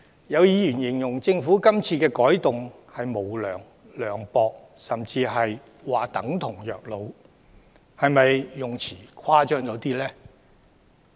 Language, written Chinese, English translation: Cantonese, 有議員形容政府今次的改動是無良、涼薄，甚至等於虐老，但這些用詞是否誇張了一點？, Some Members described the amendment this time as unscrupulous heartless or even elderly abuse . Are these words not a bit of an exaggeration?